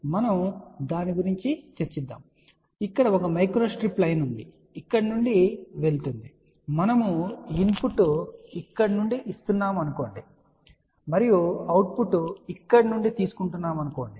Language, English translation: Telugu, So, let us think about that there is a one micro strip line which is going here let us say we are giving a input here and the output is taken from here